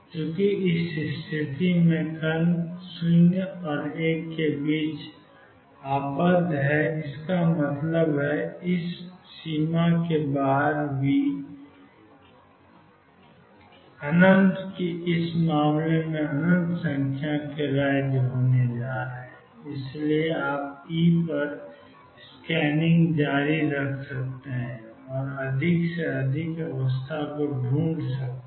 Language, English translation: Hindi, Since the particle is bound in this case between 0 and l; that means, V goes to infinity outside this boundary there going to be infinite number of states in this case and so you can keep scanning over E and find more and more states